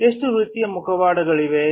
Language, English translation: Kannada, How many types of masks are there